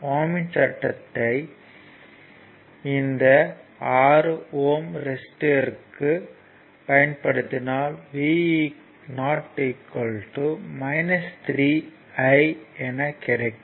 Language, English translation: Tamil, So, ah now applying ohms' law to the 6 ohm resistor, because it is I just told you it will be v 0 is equal to minus 3 into i